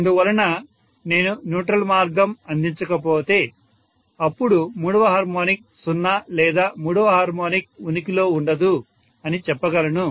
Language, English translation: Telugu, So I would say if neutral path is not provided, then third harmonic is 0 or third harmonic cannot exist